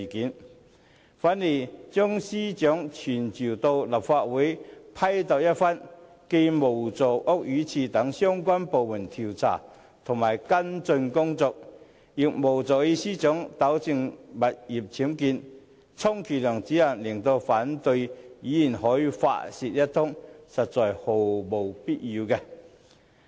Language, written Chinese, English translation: Cantonese, 相反，將司長傳召到立法會批鬥一番，既無助屋宇署等相關部門的調查跟進工作，亦無助司長糾正物業僭建，充其量只能令反對派議員可以發泄一通，實在毫無必要。, Conversely summoning the Secretary for Justice to the Council to be denounced not only fails to help relevant departments such as the Buildings Department to conduct investigation and take follow - up actions but it will also fail to help the Secretary for Justice rectify the UBWs in her properties . It can at most enable opposition Members to vent their anger so it is indeed not necessary to summon her